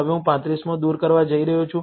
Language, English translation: Gujarati, Now, I am going to remove the 35th